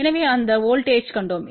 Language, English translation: Tamil, So, we have seen that voltage